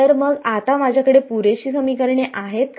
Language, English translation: Marathi, So, now, do I have enough equations